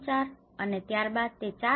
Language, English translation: Gujarati, 4 and then it goes on to 4